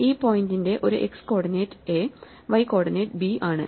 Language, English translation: Malayalam, So, I get the x coordinate as x 1 p 1 plus p 2 and y coordinate p 1 plus p 2